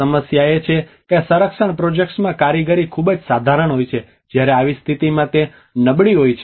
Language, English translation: Gujarati, The problem is the workmanship in the conservation projects is very moderate at cases it is poor in such a situation